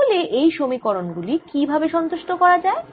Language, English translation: Bengali, how do i then satisfy the equations right